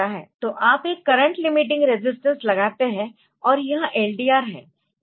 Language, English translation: Hindi, So, you put a resistance, a current limiting resistance, and this is the LDR this is the LDR